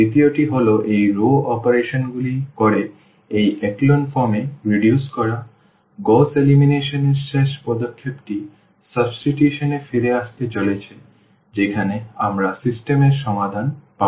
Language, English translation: Bengali, The second one is to do reducing to this echelon form by doing these row operations, the last step of the Gauss elimination is going to be back substitution where we will get the solution of the system